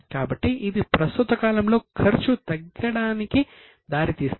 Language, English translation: Telugu, So, it will lead to reduction in the expense in the current period